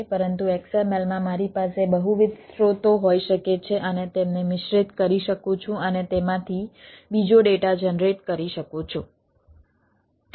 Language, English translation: Gujarati, so html can do it, but in xml i can have multiple sources and mix them and generate a ah a another data out of it